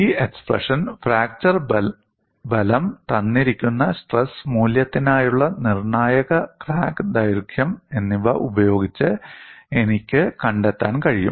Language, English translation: Malayalam, I can find out using this expression fracture strength, as well as critical crack length for a given stress value, so this expression is very important